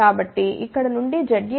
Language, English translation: Telugu, So, from here we can say what is Z A